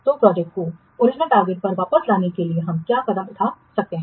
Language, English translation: Hindi, So how, what steps we can take to bring the project back to the original target